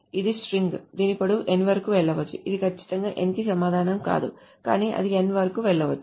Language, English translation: Telugu, So this is a string whose length can go up to n, not necessarily exactly equal to n, but can go up to n